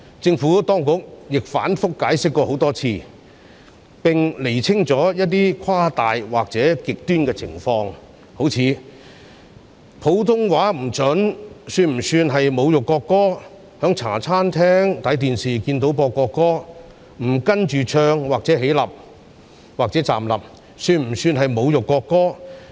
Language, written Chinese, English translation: Cantonese, 政府當局亦多次反覆解釋，並釐清了一些誇大或極端的情況，例如唱國歌時普通話說得不標準，以及在茶餐廳看到播放國歌時不跟着唱或站立，會否被視為侮辱國歌？, The Administration has also repeatedly explained and clarified certain scenarios which are exaggerating or extreme . For example will failure to sing the national anthem with standard pronunciation of Putonghua and omission to sing along or stand up when seeing the national anthem being played on television in a restaurant be regarded as an insult to the national anthem?